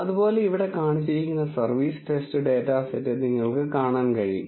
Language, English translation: Malayalam, Similarly, you can see for the service test data set which is shown here